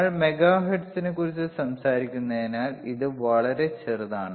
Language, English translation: Malayalam, This is negligibly small why because we are talking about megahertz,